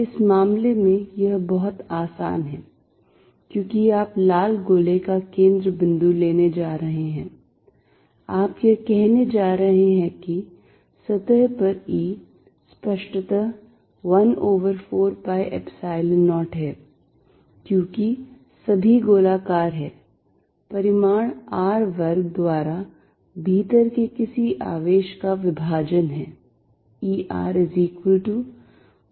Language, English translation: Hindi, In this case, it is very easy, because you going to take the center of the red sphere, you are going to say that E at the surface is; obviously, 1 over 4 pi Epsilon 0, because all is spherical some charge inside divided by R square that is the magnitude